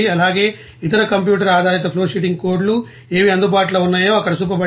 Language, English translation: Telugu, And also, what are the other different computer based flowsheeting codes are available it is shown here